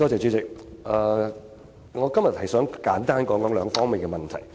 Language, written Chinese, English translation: Cantonese, 主席，我今天想簡單談兩方面的問題。, President today I would like to briefly talk about two issues